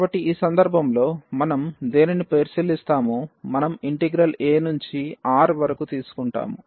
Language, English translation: Telugu, So, in this case what we will consider, we will consider the integral a to R